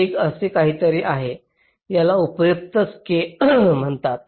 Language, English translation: Marathi, this is something which is called useful skew